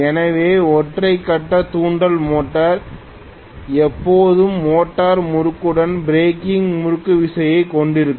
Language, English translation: Tamil, So single phase induction motor will always have breaking torque along with motoring torque